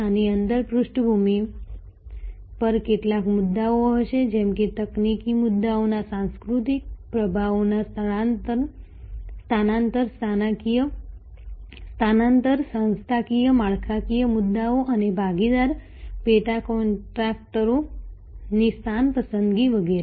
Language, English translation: Gujarati, Within the at there will be some issues at the background like cultural influences transfer of technology issues organizational structural issues and location selection of partner sub contractors etc